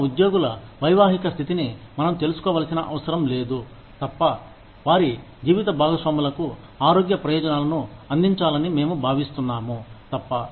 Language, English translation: Telugu, We do not need to know, the marital status of our employees, unless, we intend to provide them, with health benefits, for their spouses